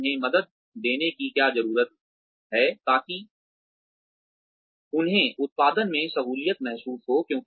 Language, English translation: Hindi, What do we need to give them, in order to help them, feel comfortable with the output